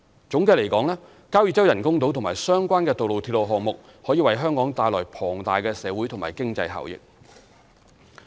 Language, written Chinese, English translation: Cantonese, 總的來說，交椅洲人工島和相關的道路/鐵路項目可為香港帶來龐大的社會和經濟效益。, In short the Kau Yi Chau artificial islands and the associated roadrailway projects can bring enormous social and economic benefits to Hong Kong